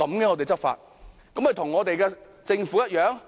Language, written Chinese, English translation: Cantonese, 這豈非與我們的政府一樣？, Are we thus following the example of the Government?